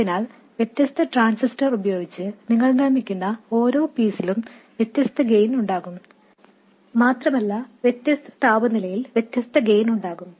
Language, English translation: Malayalam, So every piece that you make with a different transistor will have a different gain and also it will have different gain at different temperatures